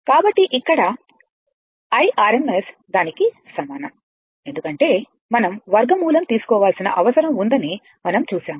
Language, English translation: Telugu, So, here I rms is equal to it is because, we have seen know this under root square we have to take